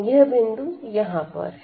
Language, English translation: Hindi, So, what is this point here